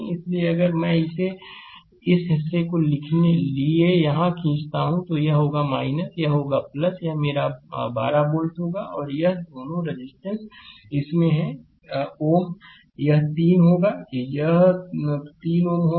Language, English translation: Hindi, So, if I draw it here for this portion, this will be minus, this will be plus right, this will be my 12 volt, and this resistance is in this ohm it will be 3 ohm right this will be 3 ohm